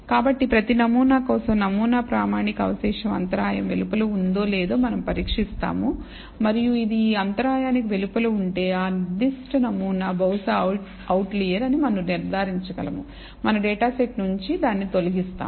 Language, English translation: Telugu, So, for each sample, we test whether the sample standardized residual lies outside of this interval and if it lies outside this interval, we can conclude that that particular sample maybe an outlier and remove it from our data set